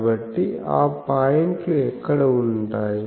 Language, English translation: Telugu, So, where are those points